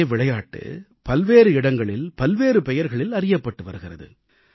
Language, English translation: Tamil, A single game is known by distinct names at different places